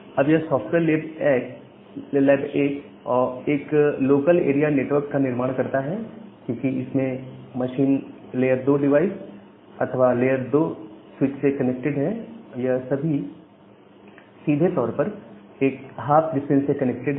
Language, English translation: Hindi, Now, this software lab 1 they form a local area network, because they are connected by layer 2 devices or the layer 2 switches, they are directly connected in one hop distance